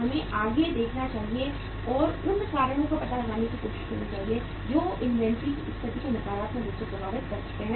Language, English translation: Hindi, We should look forward and try to find out the reasons which may affect the inventory situation negatively